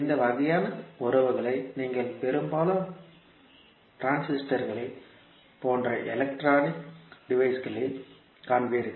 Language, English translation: Tamil, So, these kind of relationships you will see mostly in the electronic devices such as transistors